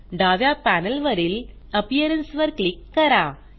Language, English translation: Marathi, On the left panel, click on the Appearance tab